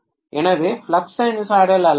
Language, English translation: Tamil, So the flux is non sinusoidal